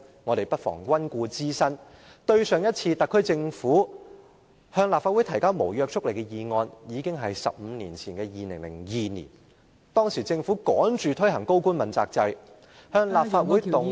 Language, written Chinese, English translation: Cantonese, 我們不妨溫故知新，上次特區政府向立法會提交無約束力議案已經是15年前的2002年，當時政府趕着推行高官問責制，向立法會動議......, Let us refresh our memory a bit here . The last time that the SAR Government proposed a motion with no legislative effect in the Legislative Council was 15 years ago in 2002 . At that time the Government wanted to rush through the Accountability System for Principal Officials so it moved in the Legislative Council a